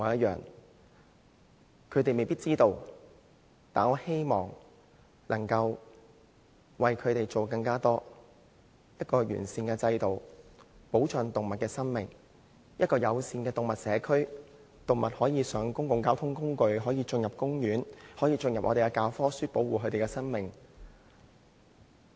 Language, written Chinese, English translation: Cantonese, 動物們未必知道，但我希望能夠為牠們做得更多，制訂一個完善的制度，保障動物的生命；建立一個友善的動物社區，讓動物可以搭乘公共交通工具、進入公園；並將保護動物的課題列入教科書，宣揚保護牠們的生命。, While animals may not know I hope that I can work more for them by setting up a sound regime to protect their lives establishing an animal - friendly community where animals can travel on public transports and have access to parks and introducing the subject of animal protection in textbooks so as to promote the protection of their lives